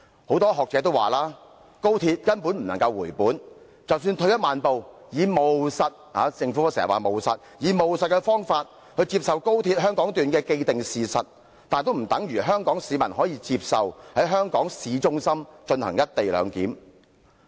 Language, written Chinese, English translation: Cantonese, 很多學者也指出，高鐵根本無法回本，即使退一萬步，以務實的態度——政府經常說要務實——接受高鐵香港段這個既定事實，也不等於說，香港市民可以接受在香港市中心進行"一地兩檢"的安排。, A number of academics remarked that there is no way for the XRL to fully recover its costs . Even though we adopt a pragmatic perspective―the Government often speaks of the need of being pragmatic―and take the Hong Kong Section of the XRL as a fait accompli that does not mean that the Hong Kong people consider it acceptable to conduct customs immigration and quarantine CIQ procedures at a town centre in Hong Kong under the co - location arrangement